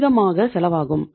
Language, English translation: Tamil, It also has a cost